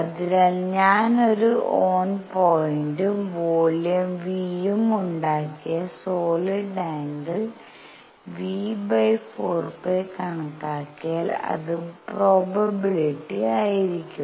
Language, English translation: Malayalam, So, if I calculate the solid angle made by a on points and volume V and divided by 4 pi that is going to be the probability